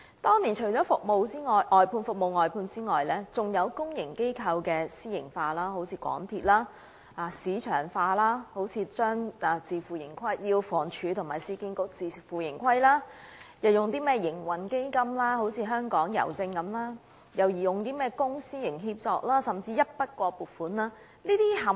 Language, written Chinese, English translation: Cantonese, 當年，除了服務外判外，還有公營機構私營化，香港鐵路有限公司是一例；推行市場化，如要求房屋署和市區重建局自負盈虧；設立營運基金，如香港郵政；推出公私營協作安排，甚至是一筆過撥款等。, Back then apart from the outsourcing of services a number of initiatives were also introduced including privatizing the public sector with the MTR Corporation Limited being one such example; promoting marketization with the Housing Department and the Urban Renewal Authority being required to operate on a self - financing basis; setting up trading funds for instance Hongkong Post; making collaborative arrangements between the public and private sectors and even introducing the lump sum grant system of subvention